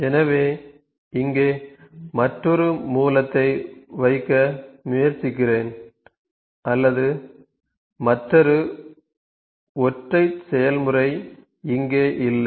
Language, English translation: Tamil, So, let me try to just put another Source here or not another Single Process here